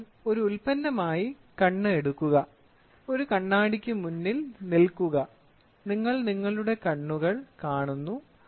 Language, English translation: Malayalam, So, take eye as a product, right, stand in front of a mirror, stand in front of a mirror, you see your eyes